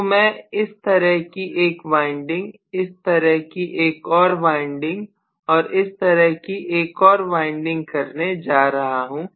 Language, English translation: Hindi, So I am going to have maybe one winding like this, one more winding like this and one more winding like this